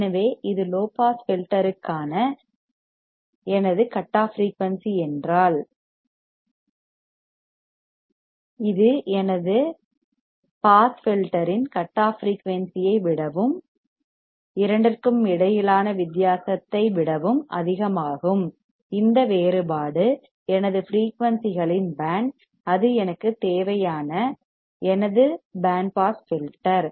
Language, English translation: Tamil, So, if this is my cutoff frequency for low pass filter, this is higher than the cutoff frequency for my pass filter right and the difference between two; that is this difference is my band of frequencies, that I want to and it is my band pass filter